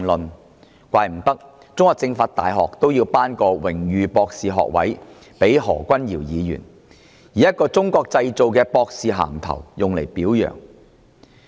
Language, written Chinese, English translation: Cantonese, 無怪乎中國政法大學要頒發榮譽博士學位予何君堯議員，以一個"中國製造"的博士銜頭加以表揚。, No wonder the China University of Political Science and Law had to award a honourary doctorate degree to Dr Junius HO and commend him with a Made in China doctorate title